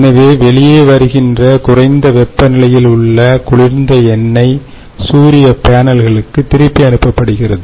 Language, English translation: Tamil, so therefore, what comes out is cold oil or oil at a lower temperature, which is fed back to the solar panels